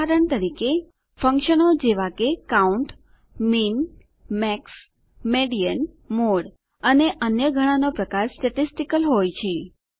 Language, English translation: Gujarati, For example, functions like COUNT, MIN, MAX, MEDIAN, MODE and many more are statistical in nature